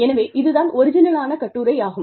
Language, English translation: Tamil, So, this is the original paper